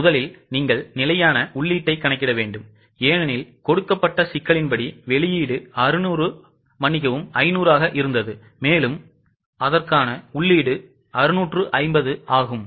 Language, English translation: Tamil, First of all, you will need to calculate the standard input because as per the given problem, the input was, output was 500 for which the input was 650